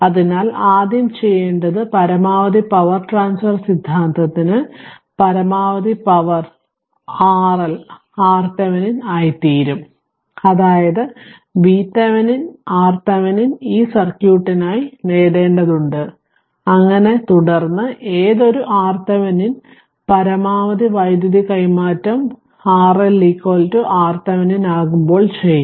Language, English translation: Malayalam, So, first thing is you have to that for maximum power transfer theorem maximum power, that R L will become your R Thevenin that means, you have to obtain for this circuit V Thevenin and R Thevenin right